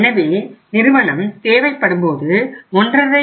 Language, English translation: Tamil, So when the firm needed 1